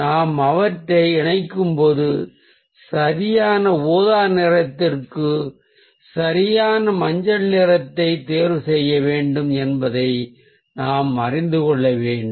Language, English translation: Tamil, they have a good combination, but when we are combining them, we need to know that ah we need to choose the right yellow for the right purple